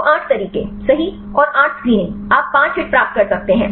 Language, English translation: Hindi, So, 8 methods right and 8 screenings you can get the 5 hits